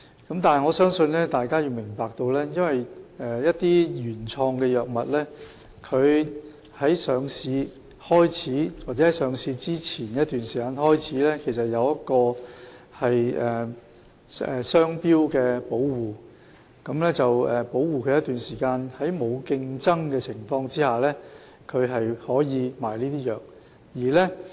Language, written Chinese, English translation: Cantonese, 可是，我想大家有需要明白，一些原創藥物自上市或上市前一段時間起，會受到商標保護，讓藥廠可在一段時間內，在沒有競爭的情況下售賣有關藥物。, However I think Members need to understand that since a newly invented drug enters the market or some time prior to that it will be patented for a certain period during which the pharmaceutical company can sell the drug without competition